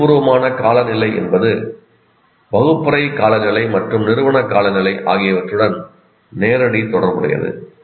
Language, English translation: Tamil, Now, the emotional climate is related directly to the classroom climate and the institutional climate